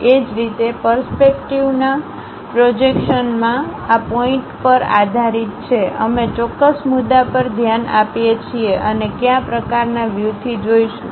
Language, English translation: Gujarati, Similarly in the perceptive projections, these are based on point; we look through certain point and what kind of views we will see